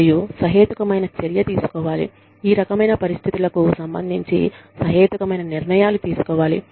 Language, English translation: Telugu, And, a reasonable action should be taken, reasonable decisions should be taken, regarding these types of situations